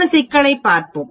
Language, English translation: Tamil, Let us look at a problem